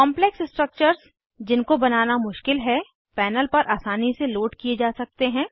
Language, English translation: Hindi, Complex structures, which are difficult to create, can easily be loaded on the panel